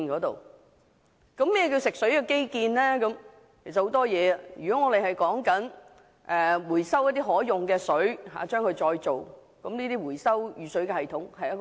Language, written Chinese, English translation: Cantonese, 當中可包括很多項目，例如興建回收和再造可用水的設施，以及回收雨水系統等。, The term can be used to cover quite a number of projects such as the provision of water recovery and recycling facilities rainwater harvesting systems and so on